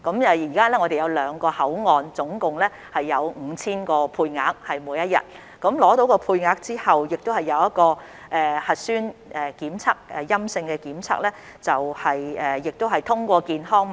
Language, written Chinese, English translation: Cantonese, 現時兩個口岸每天共有 5,000 個配額，在取得配額後必須取得陰性核酸檢測結果，繼而獲取健康碼。, At present a total of 5 000 daily quotas will be allotted to the two boundary control points . After securing a quota an applicant must obtain a negative nucleic acid test result and subsequently the health code